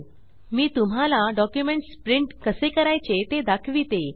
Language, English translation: Marathi, Let me quickly demonstrate how to print a document